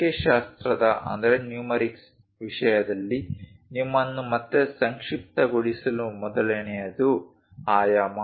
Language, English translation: Kannada, First one to summarize you again in terms of numerics; dimension